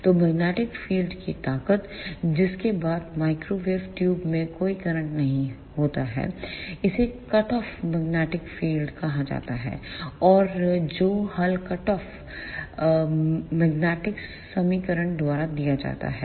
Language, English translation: Hindi, So, the strength of magnetic field, after which there is no current in the microwave tube it is called as cut off magnetic field and that is given by hull cut off magnetic equation